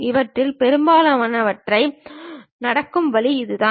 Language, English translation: Tamil, This is the way most of these things happen